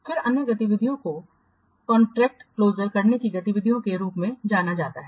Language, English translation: Hindi, Then the other activity is known as the contract closure activities